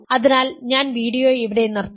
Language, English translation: Malayalam, So, I will stop the video here